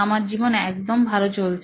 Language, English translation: Bengali, My life is perfectly fine